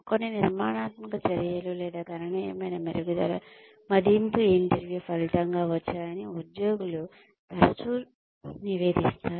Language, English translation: Telugu, Employees often report that, few constructive actions, or significant improvements, resulted from appraisal interviews